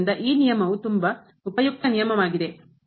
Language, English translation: Kannada, So, this rule is a very useful rule